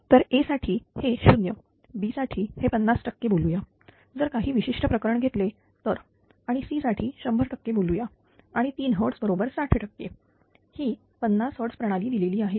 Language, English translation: Marathi, So, for A it is 0, for B it is say 50 percent something some special case is taken and for C say it is 100 percent, and it is given 3 hertz is equal to 60 percent is a 50 hertz system say